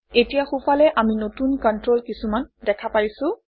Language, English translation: Assamese, Now on the right we see new controls